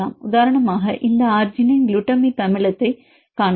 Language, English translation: Tamil, For example if you see this arginine glutamic acid